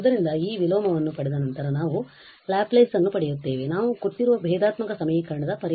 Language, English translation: Kannada, So, that is the just the after getting this inverse we get the Laplace we get the solution of the given differential equation